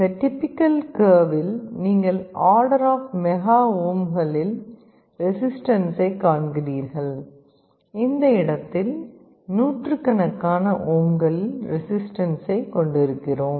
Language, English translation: Tamil, You see in this typical curve here we have a resistance of the order of mega ohms, and on this point we have a resistance of the order of hundreds of ohms